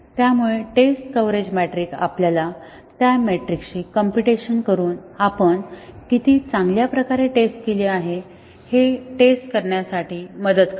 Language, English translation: Marathi, So, it is seen test coverage metric helps us determine the thoroughness of testing how well we have tested by computing those metrics